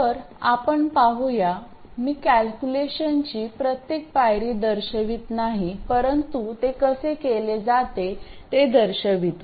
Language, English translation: Marathi, I won't show every step of the calculation but show you how it is done